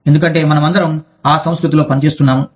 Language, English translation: Telugu, Because, we are all, sort of functioning, in that culture